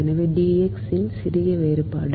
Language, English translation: Tamil, so the small difference is d x